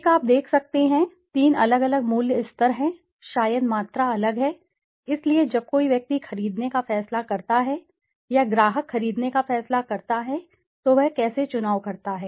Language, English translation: Hindi, One is you can see, there are three different price levels, maybe the quantity is different so when a person decides to buy or a customer decides to buy how does he make a choice